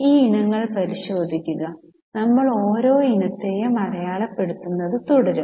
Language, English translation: Malayalam, Take a look at these items and we will go on marking each item